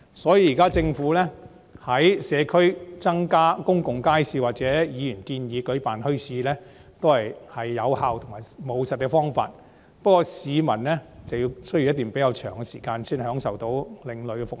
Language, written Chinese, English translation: Cantonese, 所以，政府現在於社區增建公共街市或議員建議舉辦墟市，均是有效和務實的方法，不過市民需要等候較長的時間才能享受另類的服務。, Hence the current construction of more public markets in the community by the Government and setting up of bazaars as proposed by Members are effective and pragmatic approaches . Nevertheless members of the public will have to wait longer to enjoy alternative services